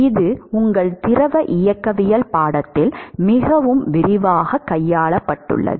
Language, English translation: Tamil, So, this has been dealt with the quite extensively in your fluid mechanic course